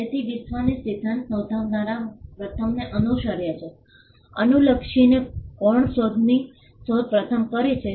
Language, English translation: Gujarati, So, the world today follows the first to file principle regardless of who invented the invention first